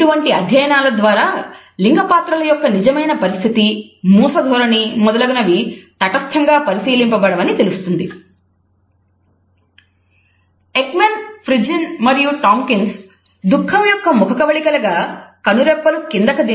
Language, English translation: Telugu, In these type of researches we would find that the true situation of gender roles, the stereotypes etcetera have not been objectively viewed